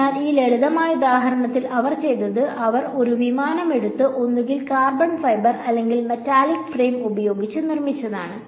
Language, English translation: Malayalam, So, in this simple example what they have done is they have taken a aircraft and either made it out of carbon fiber or a metallic frame